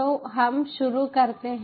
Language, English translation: Hindi, so lets get started here